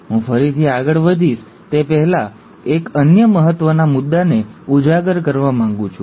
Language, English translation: Gujarati, Before I go again further, I want to again highlight another important point